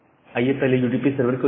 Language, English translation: Hindi, So, let us open look into the UDP server first